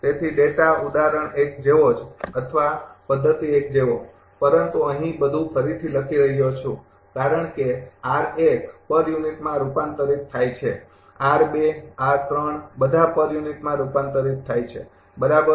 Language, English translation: Gujarati, So, data same as example 1 or method 1, but here everything rewriting because r 1 is converted to per unit, r 2 r 3 all are converted to per unit, right